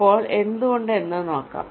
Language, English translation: Malayalam, now lets see why